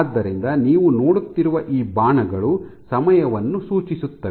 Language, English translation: Kannada, So, these arrows indicate that at the time